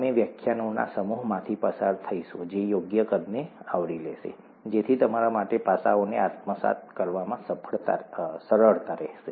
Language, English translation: Gujarati, We’ll go through a set of lectures which will cover appropriately sized, so that it’ll be easy for you to assimilate aspects